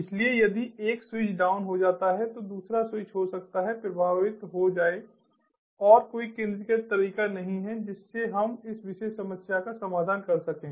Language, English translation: Hindi, so if one switch becomes down, the other switches can will become affected and there is no centralized way that we can address this particular problem